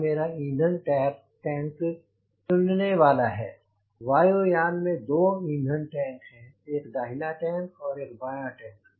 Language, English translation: Hindi, this aircraft has got two fuel tanks, one in the left tank and one in the right tank